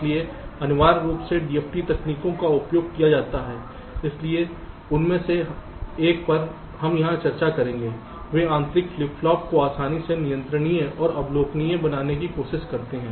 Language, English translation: Hindi, so essentially the d f t techniques which are used so one of them we will be discussing here they try to make the internal flip flops easily controllable and observable